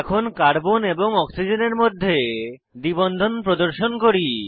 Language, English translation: Bengali, Then, let us introduce a double bond between carbon and oxygen